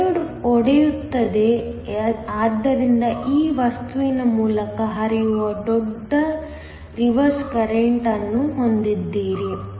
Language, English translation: Kannada, The diode breaks down so that, you have a large reverse current flowing through the material